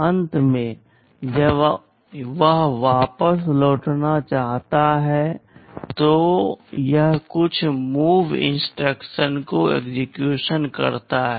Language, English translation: Hindi, At the end when it wants to return back, it executes some MOV instruction